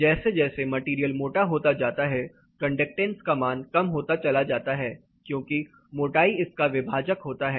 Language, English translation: Hindi, As the material gets thicker and thicker the conductance value is going to come down, because thickness is your denominator